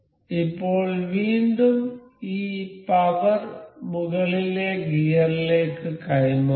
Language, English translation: Malayalam, So, now again we have to transmit this power to the upper gear